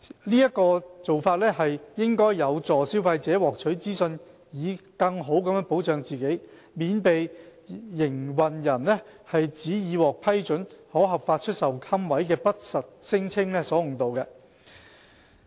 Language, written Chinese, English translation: Cantonese, 這做法有助消費者獲取資訊以更好保障自己，免被營辦人指已獲批准可合法出售龕位的不實聲稱所誤導。, This can facilitate consumers access to data to better protect themselves from untrue claims made by operators that they have been duly authorized to sell niches under a licence